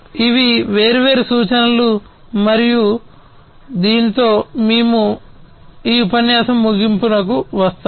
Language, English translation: Telugu, So, these are different references and with this we come to an end of this lecture